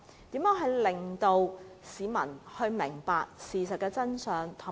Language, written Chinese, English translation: Cantonese, 應如何令市民明白事情的真相？, How should it enable members of the public to know the truth?